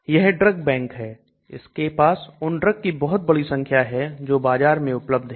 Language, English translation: Hindi, Okay there is this drug bank which contains large number of drugs that are currently in the market